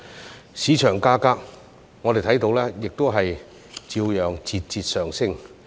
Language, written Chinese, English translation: Cantonese, 至於市場價格，我們看到亦照樣節節上升。, As regards market prices we see that they continue to rise nonetheless